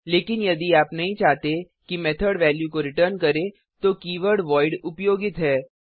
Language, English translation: Hindi, But if you donât want the method to return a value then the keyword voidis used